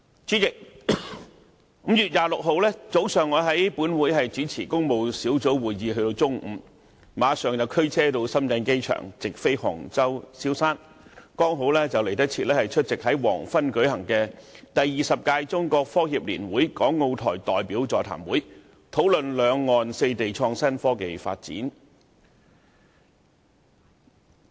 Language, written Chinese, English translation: Cantonese, 主席 ，5 月26日，我在本會主持工務小組委員會的會議至中午，之後，我立即駕車到深圳機場乘直航飛機往杭州蕭山，趕及出席黃昏舉行的"第二十屆中國科協年會港澳台代表座談會"，討論兩岸四地創新科技發展。, President on 26 May I chaired a meeting of the Public Works Subcommittee of this Council until noon . Immediately afterwards I drove to Shenzhen Airport and took a direct flight to Xiaoshan in Hangzhou where I was to attend the Seminar for Hong Kong Macao and Taiwan Representatives hosted by the 20 Annual Meeting of China Association for Science and Technology CAST that evening . The seminar was meant to discuss IT development in the four places on both sides of the Taiwan Strait